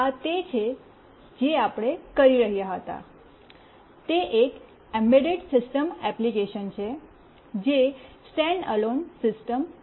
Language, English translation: Gujarati, This is what we were doing, that is an embedded system application, which is a standalone system